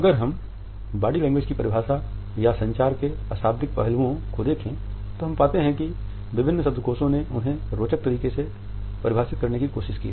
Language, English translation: Hindi, If we look at the definitions of body language or the nonverbal aspects of communication, we find that different dictionaries have tried to define them in interesting manner